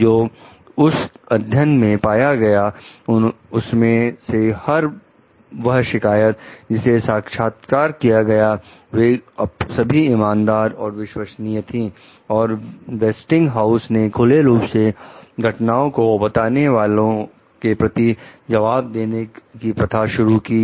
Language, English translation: Hindi, Among the study s findings were that every complainant they interviewed was sincere and credible, and that Westinghouse s practice of responding to whistle blowing incidents